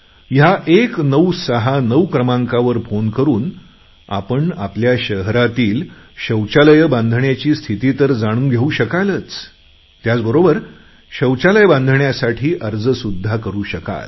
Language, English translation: Marathi, By dialing this number 1969 you will be able to know the progress of construction of toilets in your city and will also be able to submit an application for construction of a toilet